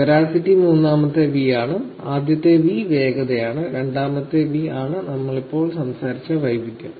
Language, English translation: Malayalam, Veracity is the third V; the first V is the velocity, second V is what we talked about now is the variety